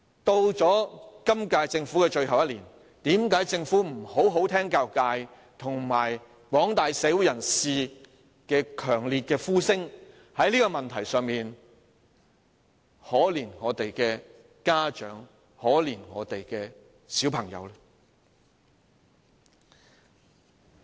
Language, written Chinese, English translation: Cantonese, 到了本屆政府任期的最後一年，為何政府仍不好好聆聽教育界和廣大社會人士的強烈呼聲，在這個問題上可憐一下我們的家長和小孩子？, In the final year of its current term why does the Government still not carefully listen to the outcries of the education sector and the wider community and show our parents and children some mercy?